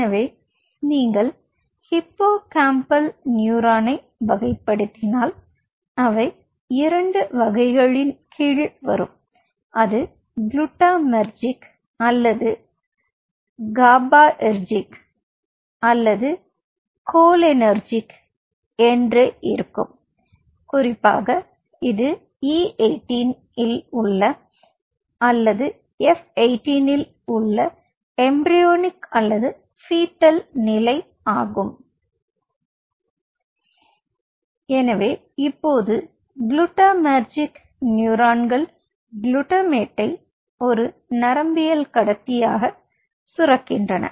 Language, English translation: Tamil, so if you classify the hippocampal neuron, they they falls under two types: either it will be glutamatergic, or it will be gabaergic, or a small population which is cholinergic, especially this is the equation at e eighteen or sorry, f eighteen should call it, ah, embryonic, it is a fetal stage